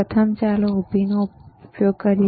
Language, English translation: Gujarati, First let you let us use a vertical